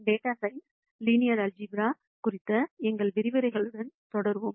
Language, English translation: Tamil, We will continue with our lectures on linear algebra for data science